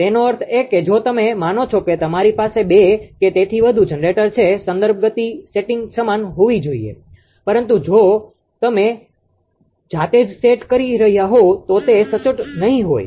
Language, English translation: Gujarati, That mean if you go for suppose you have a two or more generator the reference speed setting has to be same, but you if you are setting it manually it may not be accurate